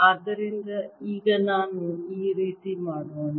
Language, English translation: Kannada, so let's try this again